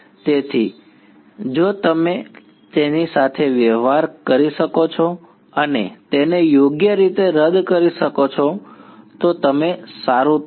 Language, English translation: Gujarati, So, if you can deal with that and cancel it off correctly then you will be fine